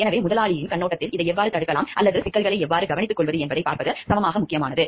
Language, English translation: Tamil, So, because from the employer’s perspective it is equally important to see like the how we can prevent this we should blowing or how to take care of the issues